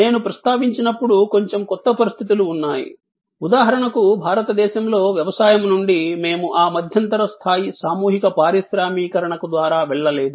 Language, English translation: Telugu, There are new situations as I was little while back mentioning, that for example in India from agriculture we did not go through that intermediate level of mass industrialization